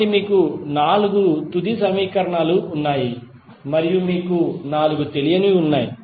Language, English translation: Telugu, So, you have four final equations and you have four unknowns